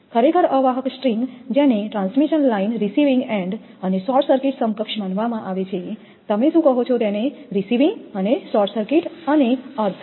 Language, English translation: Gujarati, Actually a string of insulators may be considered to be equivalent to a transmission line with receiving end and short circuited what you call receiving and short circuited and earthed